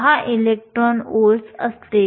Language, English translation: Marathi, 10 electron volts